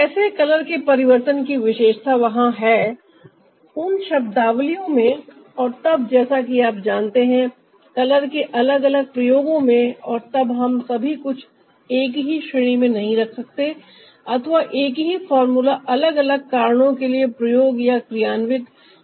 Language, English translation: Hindi, perhaps that is ah most common now, how the character of color changes there ah in terms of you know the different uses of color ah, and then we cannot put everything under the same category or a same formula cannot be ah used or implemented for ah the different reasons